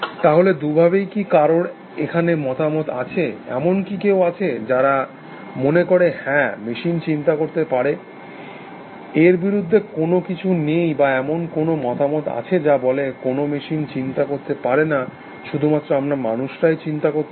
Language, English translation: Bengali, So, does anyone have a opinion either ways, there is anyone strongly feel that yes machines can think, there is nothing fundamentally against it or there anyone have a opinion which says, no machines cannot think, only we human beings can think essentially